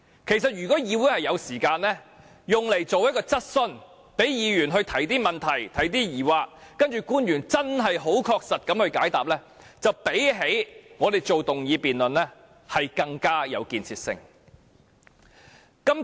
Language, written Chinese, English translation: Cantonese, 其實，如果議會能花時間舉行一項質詢環節，讓議員就此事提出疑問，再由官員確實解答，會較我們現時進行議案辯論更有建設性。, Actually if the Council can spend some time to hold a question session for Members to ask questions about this matter and then officials to give concrete replies it will be more constructive than the motion debate we are conducting right now